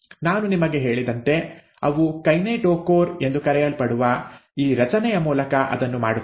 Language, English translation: Kannada, As I told you, they do that through this structure called as the kinetochore